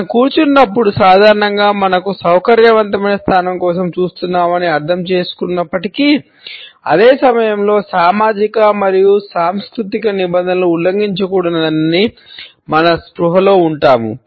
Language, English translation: Telugu, Even though we understand that while we sit; then we normally are looking for a position which is comfortable to us and at the same time we are conscious not to violate the social and cultural norms